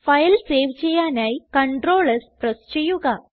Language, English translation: Malayalam, To save the file, Press CTRL+ S